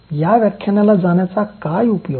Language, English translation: Marathi, what is the use of attending this lecture